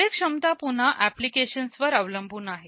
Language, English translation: Marathi, Performance again depends on the application